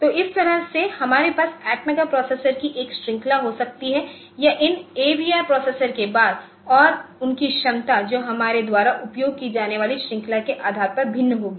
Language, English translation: Hindi, So, this way we can have a series of atmega processors or after these AVR processors and they are capacities will be vary depending upon the series that we use